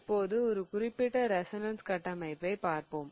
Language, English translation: Tamil, So, now let us look at a particular resonance structure